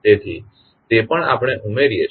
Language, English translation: Gujarati, So, that also we add